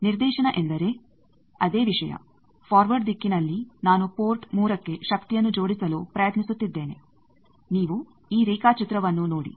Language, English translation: Kannada, Directivity means that same thing that in forward direction I am trying to couple power to port 3 you see this diagram